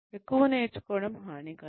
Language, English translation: Telugu, Over learning, could be harmful